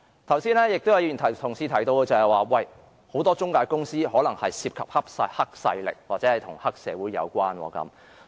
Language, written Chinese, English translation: Cantonese, 剛才有議員提到很多中介公司可能涉及黑勢力或與黑社會有關。, Earlier on some Members mentioned that many intermediaries may involve gangsters or triad societies